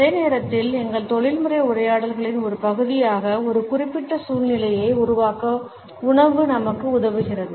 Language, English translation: Tamil, At the same time food helps us to create a particular ambiance as a part of our professional dialogues